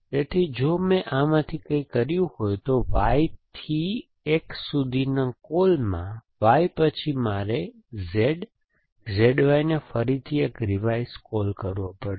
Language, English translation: Gujarati, So, if I did something from y in a call from y to x then I must make a revise call to Z, Z Y again essentially